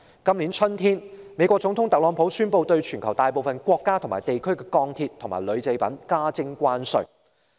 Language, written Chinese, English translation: Cantonese, 今年春天，美國總統特朗普宣布對全球大部分國家和地區的鋼鐵及鋁製品加徵關稅。, This spring Donald TRUMP the President of the United States announced the imposition of tariffs on steel and aluminum imports from a majority of countries around the world